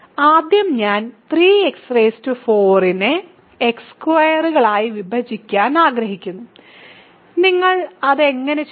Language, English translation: Malayalam, So, first I want to divide 3 x 4 by x squared, how do you do that